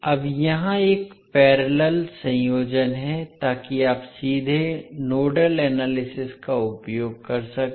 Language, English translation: Hindi, Now here, it is a parallel combination so you can straightaway utilize the nodal analysis